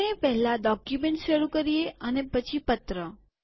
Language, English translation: Gujarati, We begin the document and then the letter